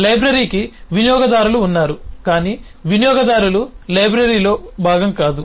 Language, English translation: Telugu, library has users, but users are not part of the library, they are not components of the library